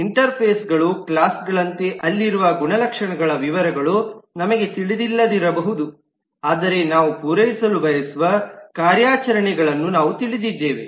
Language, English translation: Kannada, Interfaces are like classes, where we may not know the details of the properties that are inside, but we know just the operations that we want to satisfy